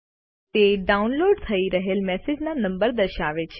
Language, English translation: Gujarati, It displays the number of messages that are being downloaded